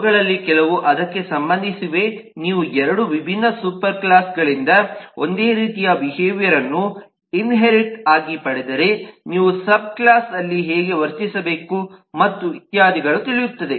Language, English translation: Kannada, some of them relate to that if you inherit the same method, the same behaviour from 2 different super classes, then how should you behave in the sub class, and so on